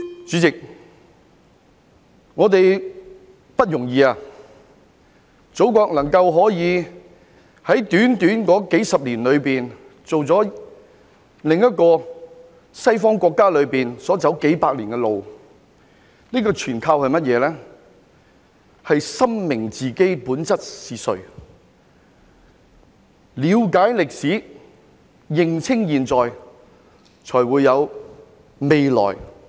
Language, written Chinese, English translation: Cantonese, 主席，我們很不容易，祖國能夠在短短數十年間走過其他西方國家走了數百年的路，這全靠我們深明自己本質是誰，了解歷史，認清現在，才會有未來。, President it has not been easy for us . Our Motherland only takes a few decades to go through what other Western countries have spent hundreds of years to accomplish . This is all attributed to our thorough understanding of who we are in essence